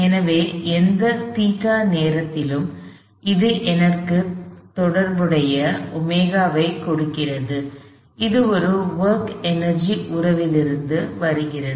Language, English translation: Tamil, So, at any theta, this gives me the corresponding omega, this comes from a work energy relationship